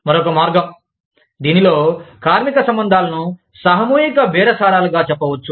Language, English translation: Telugu, The other way, in which, the labor relations can be approached is, collective bargaining